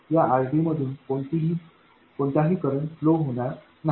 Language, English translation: Marathi, This RD doesn't draw any current